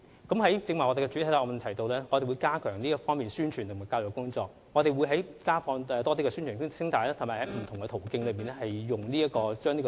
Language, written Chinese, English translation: Cantonese, 剛才我在主體答覆中提到，我們會加強這方面的宣傳及教育工作，不但會增加播放宣傳聲帶，亦會利用不同的途徑教育公眾。, As mentioned in my main reply we will step up efforts in publicity and education in this respect and apart from making more broadcasting announcements of public interest on radio we will also make use of various channels to educate the public